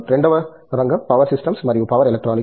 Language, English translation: Telugu, The second area is Power Systems and Power Electronics